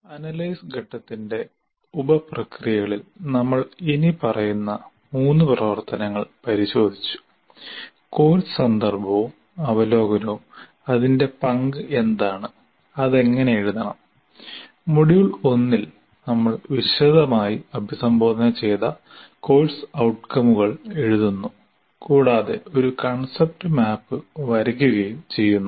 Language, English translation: Malayalam, And among the various sub processes we looked at in the analysis phase, course context and overview, what is its role and how it should be written, and writing the course outcomes, which we have addressed in the module 1 extensively and then also drawing a kind of a what we call as a concept map